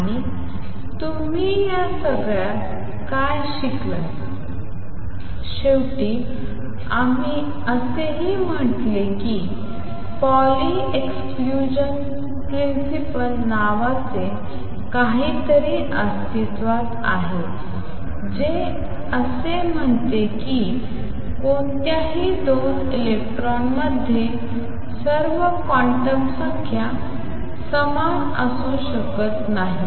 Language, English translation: Marathi, And what you learned in the all this and finally, we also said something called the Pauli Exclusion Principle exist that says is that no 2 electrons can have all the quantum numbers the same